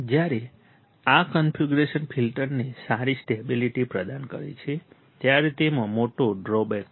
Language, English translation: Gujarati, While this configuration provides a good stability to the filter, it has a major drawback